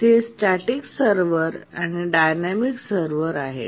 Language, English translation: Marathi, There are static servers and dynamic servers